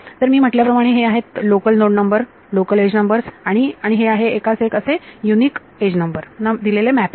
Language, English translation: Marathi, So, these are as I told you these are local node numbers, local edge numbers and there is a 1 to 1 mapping to unique edge number